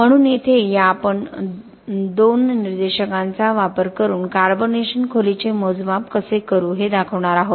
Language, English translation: Marathi, So here we are going to just show how we will do the measurement of carbonation depth using these two indicators